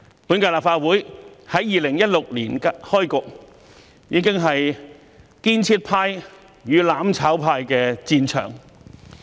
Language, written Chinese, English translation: Cantonese, 本屆立法會在2016年開局，已是建設派與"攬炒派"的戰場。, Ever since this term commenced in 2016 the Legislative Council has already become the battlefield between the construction camp and the mutual destruction camp